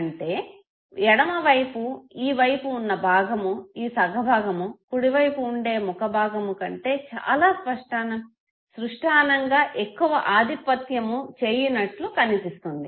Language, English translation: Telugu, So this side of the face this half of the face would be far dominant in expression compared to the right side of the face